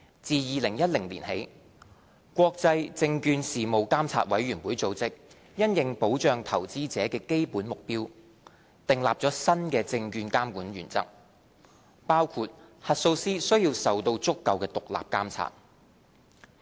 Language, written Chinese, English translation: Cantonese, 自2010年起，國際證券事務監察委員會組織因應保障投資者的基本目標，訂立了新的證券監管原則，包括核數師需要受到足夠的獨立監察。, Since 2010 the International Organization of Securities Commissions has introduced new principles of securities regulation with an overriding objective of protecting investors which include the principle that auditors should be subject to adequate levels of independent oversight